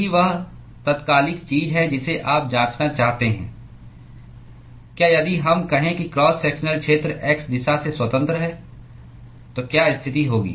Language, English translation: Hindi, That is the immediate thing you want to check: whether if we say cross sectional area is independent of the x direction, then what will be the case